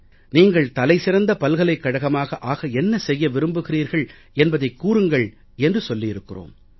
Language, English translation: Tamil, We have asked them to come up with what they would like to do to become the best universities